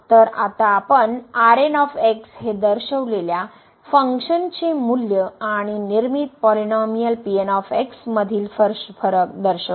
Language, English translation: Marathi, So now, we will denote this as the difference between the values of the given function and the constructed polynomial